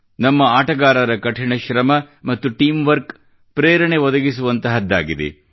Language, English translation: Kannada, The hard work and teamwork of our players is inspirational